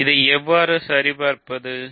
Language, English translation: Tamil, So, how do I check this